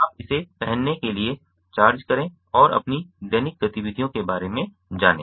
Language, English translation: Hindi, you just charge it, wear it and go about your daily activities